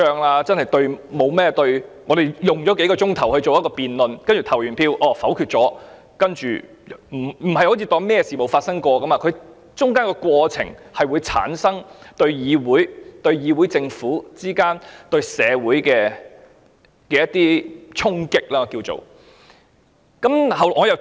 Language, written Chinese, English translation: Cantonese, 我們可以花數個小時進行辯論後投票否決議案，但我們不能當作沒有事發生過，中間的過程會對議會、政府及社會之間帶來衝擊。, We can spend several hours on the debate and then proceed to vote down the motion but we cannot pretend that nothing has happened . The process itself will deal a blow to this Council to the Government and to society